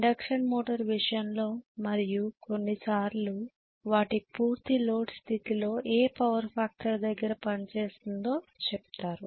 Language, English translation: Telugu, In the case of induction motor and so on sometimes they may say at what power factor it will work under full load condition